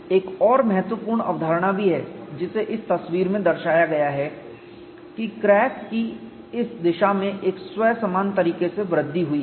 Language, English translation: Hindi, There is also another important concept which is depicted in this picture that crack has grown in this direction in a self similar manner